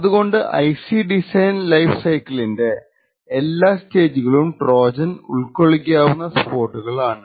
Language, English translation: Malayalam, So, every other stage during this life's IC design cycle could potentially be spot where a Trojan can be inserted